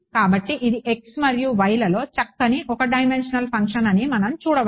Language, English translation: Telugu, So, we can see that this is a nice one dimensional function in x and y